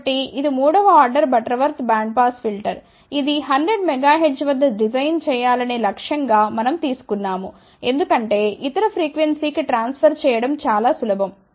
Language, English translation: Telugu, So, this is a third order Butterworth bandpass filter which we took as an objective to be designed at 100 megahertz, because that is easy then to transfer to any other frequency